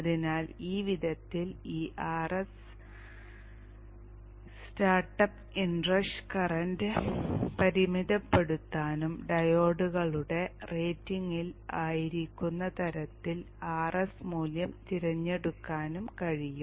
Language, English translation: Malayalam, So this way this R S can limit the in rush start up inrush current and the value of the R S can be chosen such that it is within the rating of the diodes